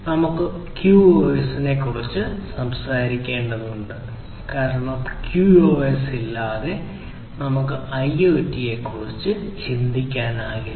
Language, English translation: Malayalam, So, we need to talk about QoS now, because without QoS we cannot think of IoT; IoT is about services quality of service is very important